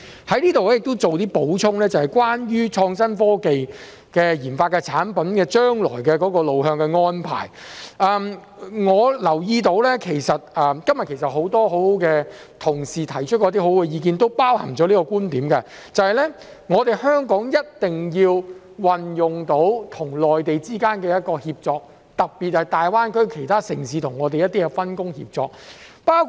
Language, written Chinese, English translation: Cantonese, 我在這裏亦做一些補充，關於創新科技研發的產品的將來路向的安排，我留意到今天很多同事提出了一些很好的意見，當中亦包含了這個觀點，就是香港一定要運用到與內地之間的一個協作，特別是大灣區其他城市跟我們的一些分工協作。, This is very important . I would also like to add here that regarding the way forward for innovation and technology products developed I noticed that many of my colleagues have put forward some very good ideas today which also include the point that Hong Kong must make use of the collaboration with the Mainland especially the division of labour between other cities in the Greater Bay Area and us